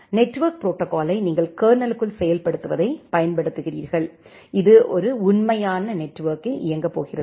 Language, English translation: Tamil, You are utilizing the network protocol stack the implementation inside the kernel itself the actual implementation which is going to run in a real network